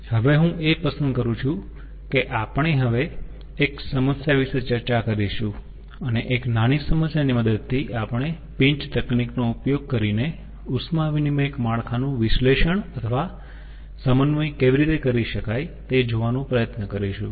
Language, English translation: Gujarati, we will take up a problem and with the help of a problem, ah, small problem, we will try to see how heat exchanger network analysis or synthesis can be done using pinch technique